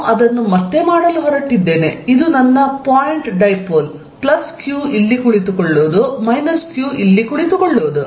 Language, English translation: Kannada, I am going to make it again, this is my point dipole plus q sitting here minus q sitting here